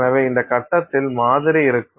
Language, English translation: Tamil, So, that is how your sample would be